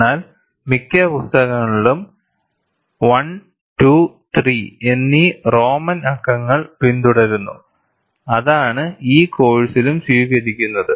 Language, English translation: Malayalam, But most books follow, Roman numerals I, II and III and which is what is adopted in this course as well